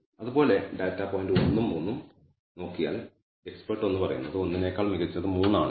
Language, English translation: Malayalam, Similarly if I look at the data point 1 and 3 expert 1 says it is better 3 is better than 1, expert 2 also says 3 is better than 1